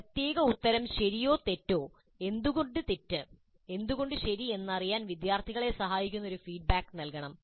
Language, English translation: Malayalam, And feedback must be provided to help the students know not only the right from the wrong, but also the reasons why a particular answer is wrong are right